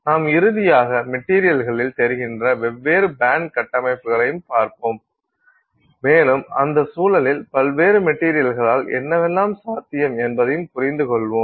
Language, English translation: Tamil, We will finally also look at different band structures that are observed in materials and therefore in that context get a sense of what is possible with various materials